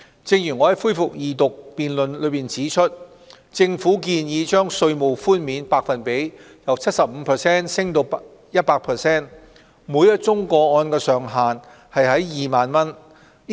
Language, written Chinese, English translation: Cantonese, 正如我在恢復二讀辯論中指出，政府建議把稅務寬免百分比由 75% 提升至 100%， 每宗個案上限2萬元。, As I have pointed out during the resumption of Second Reading debate the Government has proposed to raise the percentage for tax reduction for the year of assessment 2018 - 2019 from 75 % to 100 % subject to a ceiling of 20,000 per case